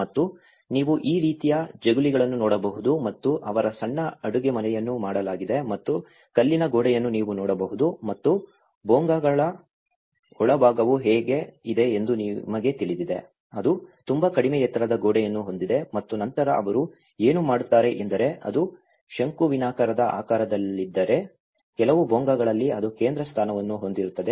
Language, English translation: Kannada, And you can see this kind of veranda and where they have the kitchen has been made a small partition and there is a stone wall you can see and how the inside of the Bhongas you know it has all, it has a very low height wall and then what they do is if it is a conical shape, so, in some of the Bhongas it will have also the central post